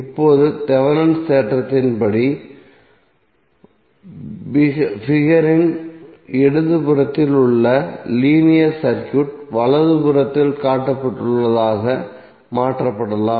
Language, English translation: Tamil, Now according to Thevenin’s theorem, the linear circuit in the left of the figure which is one below can be replaced by that shown in the right